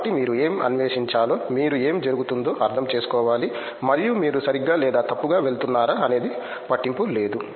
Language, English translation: Telugu, So it’s like you have to explore you have to understand what is happening and whether you are going right or wrong it doesn’t matter